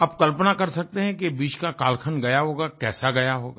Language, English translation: Hindi, You can imagine how this period must have made one feel